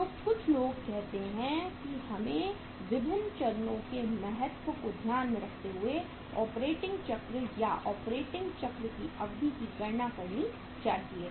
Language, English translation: Hindi, So some people say that we should calculate the operating cycle or duration of the operating cycle by keeping into consideration the importance of different stages of the operating cycle